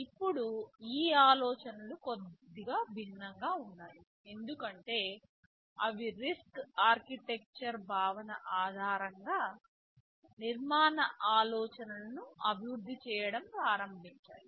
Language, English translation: Telugu, Now these ideas were little different because they started to develop the architectural ideas based on the reduced instruction set concept, RISC architecture concept ok